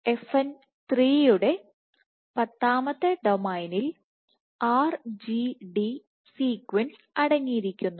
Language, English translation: Malayalam, So, tenth domain of FN 3 contains the RGD sequence